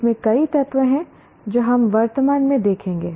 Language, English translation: Hindi, There are several elements in this we will presently see